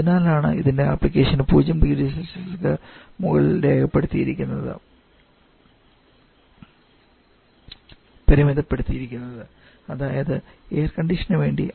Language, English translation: Malayalam, Its application is restricted only above 0 degree Celsius that is primary to air conditioning application